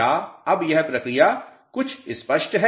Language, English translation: Hindi, Is this mechanism clear now little bit